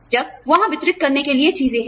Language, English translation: Hindi, When, there are things to be delivered